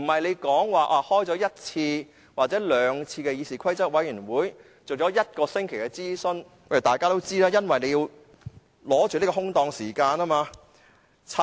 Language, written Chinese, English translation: Cantonese, 不是開了一次或者兩次議事規則委員會的會議，進行了一個星期的諮詢就是有程序公義。, Procedural justice is not served by holding one or two CRoP meetings and conducting a one - week consultation